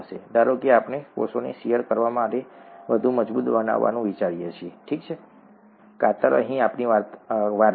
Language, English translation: Gujarati, Suppose we think of making the cells more robust to shear, okay, shear is our story here